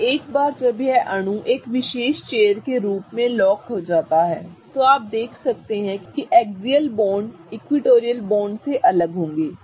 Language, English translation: Hindi, And once this molecule is locked in a particular chair form, you can see that the axial bonds will be different from the equatorial bonds